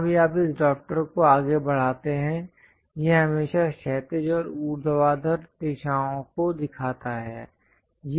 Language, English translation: Hindi, Wherever you move this drafter, it always shows only horizontal and vertical directions